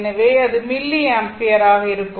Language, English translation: Tamil, It is in milliampere